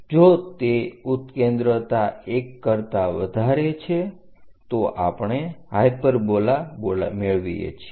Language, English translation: Gujarati, If that eccentricity is greater than 1, we get a hyperbola